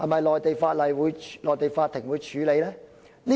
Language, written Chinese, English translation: Cantonese, 內地法庭會否處理呢？, Will the Mainland courts hear such cases?